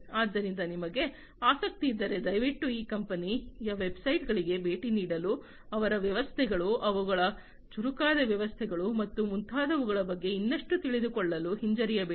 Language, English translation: Kannada, So, if you are interested please feel free to visit these company websites to, to know more about their systems, their smarter systems, and so on